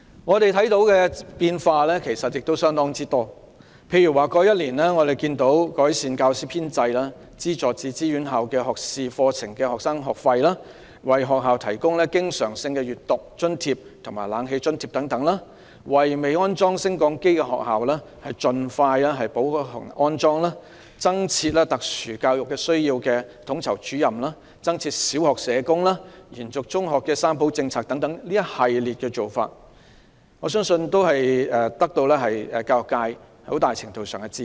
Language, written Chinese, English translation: Cantonese, 我們看到的變化其實亦相當多，例如在過去1年，政府改善了教師編制；資助自資院校學士課程學生的學費；為學校提供經常性閱讀津貼及冷氣津貼等；為未安裝升降機的學校盡快安裝；增設特殊教育需要統籌主任；增設小學社工；延續中學的"三保政策"等，我相信這一系列做法均獲得教育界很大程度的支持。, We have seen quite many changes . For instance over the past year the Government has improved the teaching staff establishment subsidized students pursuing self - financing undergraduate programmes; disbursed a recurrent reading grant and air - conditioning grant for schools; expedited the lift installation works for schools without such provision; created a post called Special Educational Needs Coordinator; provided a social worker for each primary school; extended the three - fold preservation policy for secondary schools etc . I believe these policies will win a high degree of support of the education sector